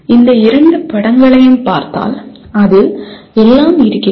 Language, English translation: Tamil, If you look at these two pictures, you have everything in this